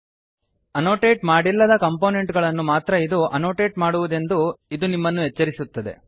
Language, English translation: Kannada, This will warn you that it will annotate only the un annotate components